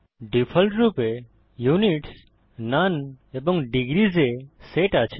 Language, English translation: Bengali, By default, Units is set to none and degrees